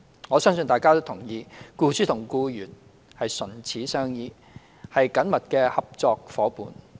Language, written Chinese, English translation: Cantonese, 我相信大家同意，僱主與僱員唇齒相依，是緊密的合作夥伴。, I believe Members will agree that employers and employees are interdependent and close working partners